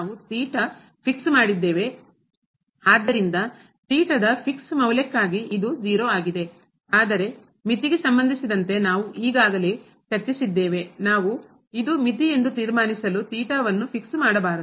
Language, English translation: Kannada, So, for fix value of theta, this is 0, but as for the limit we have already discussed that we should not fix theta to conclude that this is the limit